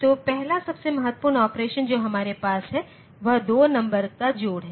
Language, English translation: Hindi, So, the first most important operation that we have is the addition of 2 numbers